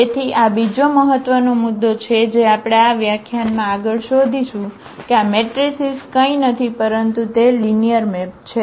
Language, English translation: Gujarati, So, this is another important point which we will be exploring further in this lecture that this matrices are nothing but they are linear map